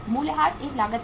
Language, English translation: Hindi, Depreciation is a cost